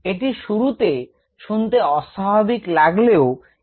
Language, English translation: Bengali, might be seem a little odd in the beginning, but let us consider this